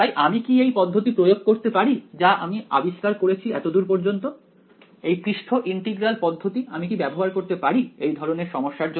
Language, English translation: Bengali, So, can I apply this approach that I have discovered so far this surface integral approach can I use it to this kind of a problem